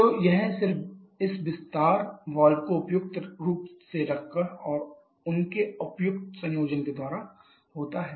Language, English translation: Hindi, So, this is just by placing this expansion valve suitably and by their suitable combination that is all